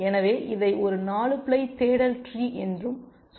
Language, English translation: Tamil, So, let us say, this is also a 4 ply search tree